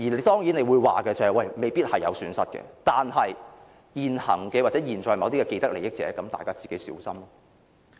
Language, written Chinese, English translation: Cantonese, 當然你或會說，這樣未必會有損失，但現行或現在某一些既得利益者自己便要小心。, Of course you may say that this does not necessarily mean losses but people with vested interests at present must watch out for themselves